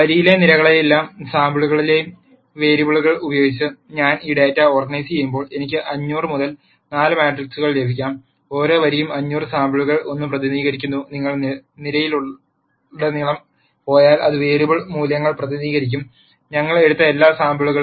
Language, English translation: Malayalam, Then when I organize this data with the variables in the columns and samples in the row, then I will get a 500 by 4 matrix, where each row represents one of the 500 samples and if you go across the column, it will represent the variable values, at all the samples that we have taken